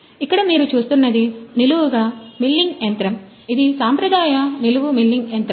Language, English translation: Telugu, Here, what you see is a vertical milling machine the conventional, traditional, vertical, milling machine